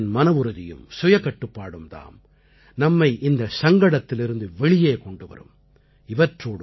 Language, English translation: Tamil, The determination and restraint of each Indian will also aid in facing this crisis